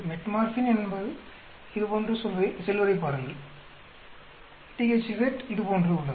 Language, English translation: Tamil, Look at Metformin its going like this; THZ is there is going like this